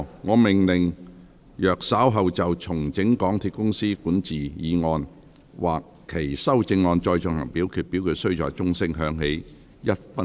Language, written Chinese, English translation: Cantonese, 我命令若稍後就"重整港鐵公司管治"所提出的議案或修正案再進行點名表決，表決須在鐘聲響起1分鐘後進行。, I order that in the event of further divisions being claimed in respect of the motion on Restructuring the governance of MTR Corporation Limited or any amendments thereto this Council do proceed to each of such divisions immediately after the division bell has been rung for one minute